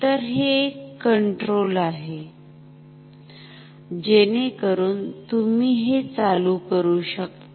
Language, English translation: Marathi, So, this is a control ok, so this you can turn